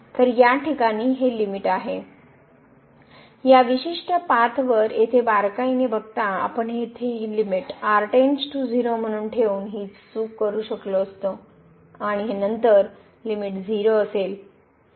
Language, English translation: Marathi, So, this is the limit in this case, along this particular path while by not closely looking at this here we could have done this mistake by putting taking this limit here as goes to 0 and then this limit is 0